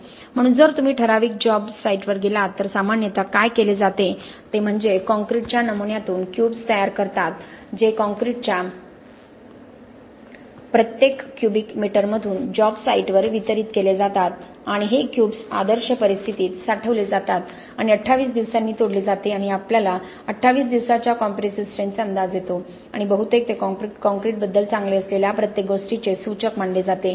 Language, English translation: Marathi, So if you go to a typical job site, what is typically done is they prepare cubes from the sample of concrete that is taken from every so many cubic meters of the concrete delivered to the job site and these cubes are stored in the ideal conditions and broken at 28 days and we get an estimate of 28 day compressive strength and mostly that is taken to be an indicator of everything that is good about the concrete, if the 28 days strength requirements are met then we assume that all other requirements are automatically going to be met